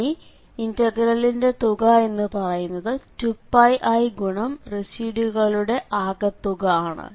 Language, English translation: Malayalam, So, to get the integral value there, so the integral i will be 2 Pi i and the sum of all the residues